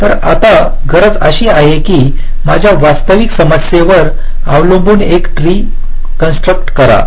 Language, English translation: Marathi, so now the requirement is that let us construct a tree, depending on my actual problem at hand